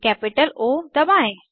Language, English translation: Hindi, Press capital O